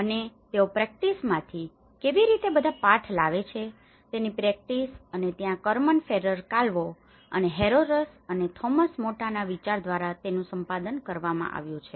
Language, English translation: Gujarati, And, it is from the practice side of it how they brought all the lessons from practice and this is where its been edited by Carmen Ferrer Calvo with Concepcion Herreros and Tomas Mata